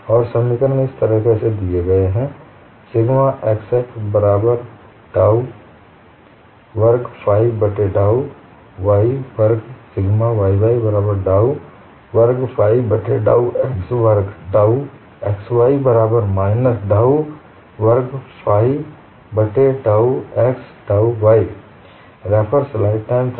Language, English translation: Hindi, So, the equation reduces to dou sigma xx divided by dou x plus dou tau x y divided by dou y equal to 0; dou tau y x divided by dou x plus dou sigma y by divided by dou y equal to 0